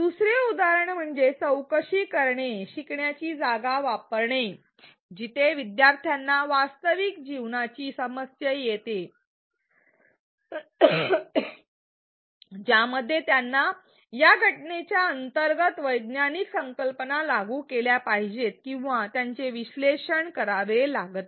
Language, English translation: Marathi, Another example is to use inquiry learning spaces where an learners are presented with a real life problem in which they have to apply or and analyze the scientific concepts underlying that phenomenon